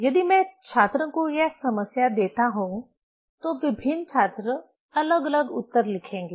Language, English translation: Hindi, If I give this problem to the students, different students will write different answer